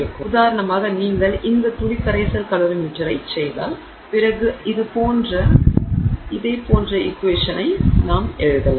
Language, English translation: Tamil, So, for example if you do this drop solution calorie metric then we can write a similar equation